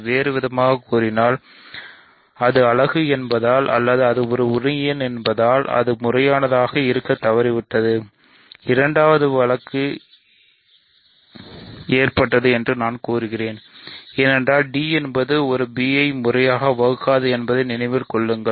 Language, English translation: Tamil, So, in other words it fails to be proper either because it is a unit or because it is an associate of a; I claimed that the second case cannot occur because if d is an remember that a does not divide b right